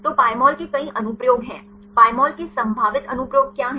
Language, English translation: Hindi, So, Pymol has several applications what are the potential applications of Pymol